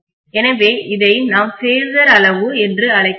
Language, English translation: Tamil, So we call this as the phasor quantity